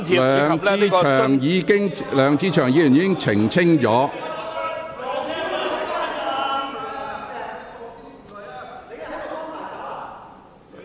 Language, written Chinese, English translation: Cantonese, 梁志祥議員已經作出澄清。, Mr LEUNG Che - cheung has already clarified his point